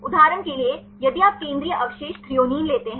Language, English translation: Hindi, For example, if you take the central residue threonine